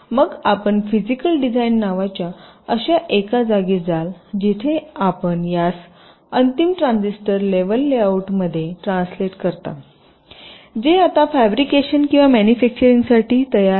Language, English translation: Marathi, then you go into something called physical design, where you translate these into the final transistor level layout which is now ready for fabrication or manufacturing